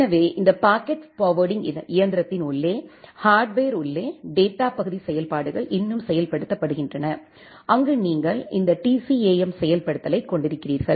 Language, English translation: Tamil, So, the data part part functionalities are still implemented inside the hardware inside this packet forwarding engine, where you have this TCAM implementation